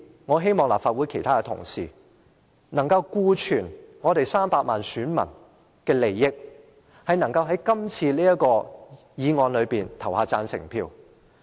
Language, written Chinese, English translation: Cantonese, 我希望立法會其他同事，今次可以顧全300萬名選民的利益，對這項議案投下贊成票。, I hope fellow colleagues in this Council would take the interests of 3 million electors into consideration and vote for the motion proposed today